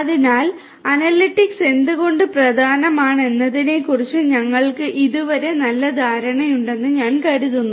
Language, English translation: Malayalam, So, I think we have so far a fair bit of idea about why analytics is important